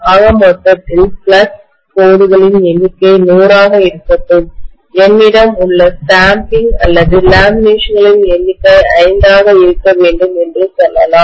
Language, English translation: Tamil, So let the number of flux lines in total be on 100, let us say, I have number of stamping or laminations to be 5